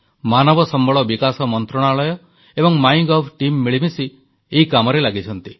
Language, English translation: Odia, The HRD ministry and the MyGov team are jointly working on it